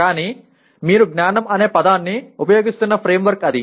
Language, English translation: Telugu, But that is the framework in which you are using the word knowledge